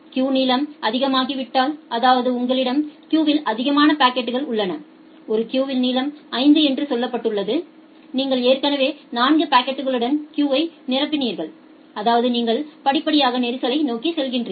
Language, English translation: Tamil, If the queue length becomes high, that means, you have more number of packets in the queue and a queue has say length 5 and you have already filled up the queue with 4 packets; that means you are gradually going towards the congestion